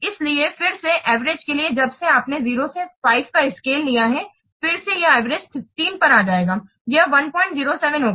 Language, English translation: Hindi, So, again, for average, since you have taking a scale from 0 to 5, again, this is average will be coming 3